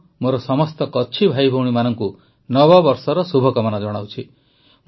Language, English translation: Odia, I also wish Happy New Year to all my Kutchi brothers and sisters